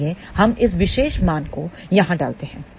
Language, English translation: Hindi, So, we substitute this particular value over